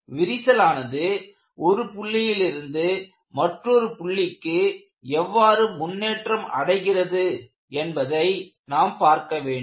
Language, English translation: Tamil, So, you have to visualize the crack advances along this line, but how it advances from a point like this to another point